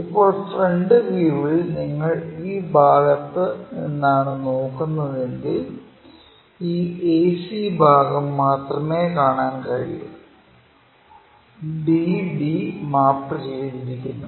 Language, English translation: Malayalam, Now, in the front view if you are looking from this side, only this ac portion we will be in a position to see where bd are mapped